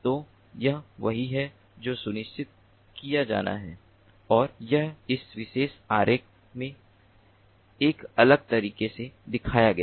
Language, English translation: Hindi, so this is what has to be ensured and this is shown in a different way in this particular diagram